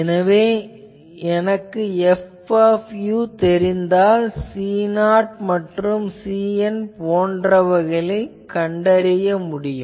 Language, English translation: Tamil, So, if I know F u or if you probably specified, I can find out this C 0 and this C n things